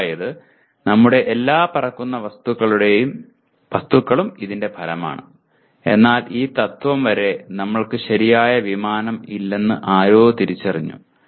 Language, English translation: Malayalam, That is all our flying objects are the result of this, but until this principle somebody has identified we really did not have the proper airplane